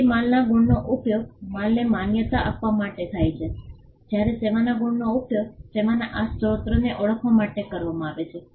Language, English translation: Gujarati, So, goods marks are used for recognizing goods whereas, service marks are used to recognize this source of the service